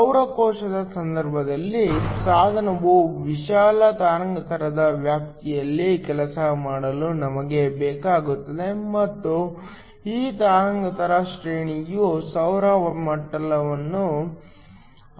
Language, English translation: Kannada, In the case of a solar cell, we need the device to work over a broad wavelength range and this wavelength range depends upon the solar spectrum